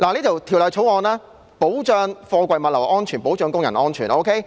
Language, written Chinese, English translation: Cantonese, 《條例草案》保障貨櫃物流安全、保障工人安全。, The Bill safeguards the safety of container logistics and workers